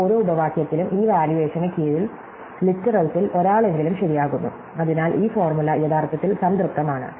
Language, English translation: Malayalam, So, in each of these clauses at least one of the literals becomes true under this valuation, so this entire formula is actually satisfied